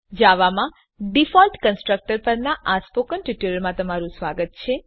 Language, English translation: Gujarati, Welcome to the Spoken Tutorial on default constructor in java